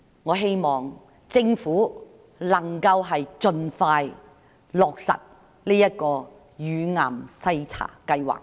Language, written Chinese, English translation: Cantonese, 我希望政府能夠盡快落實乳癌篩查計劃。, I hope that the Government can implement the breast cancer screening program as soon as possible